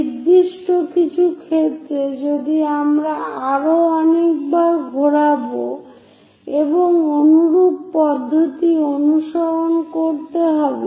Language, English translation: Bengali, In certain cases, if we are making many more revolutions, similar procedure has to be followed